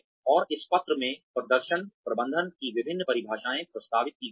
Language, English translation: Hindi, And, in this paper, various definitions of performance management have been proposed